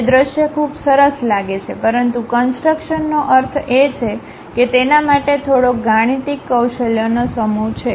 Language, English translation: Gujarati, It looks for visual very nice, but construction means it requires little bit mathematical skill set